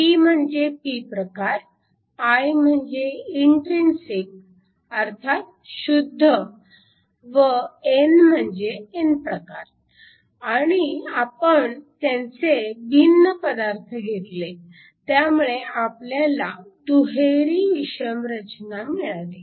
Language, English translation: Marathi, We form a pin, p is your p type, i is an intrinsic and n is an n type and we make the materials different, so that you have a double hetero junction